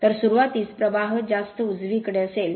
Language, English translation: Marathi, So, at start current will be higher right